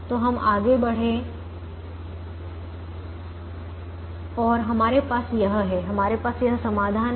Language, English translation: Hindi, so we went ahead and we have this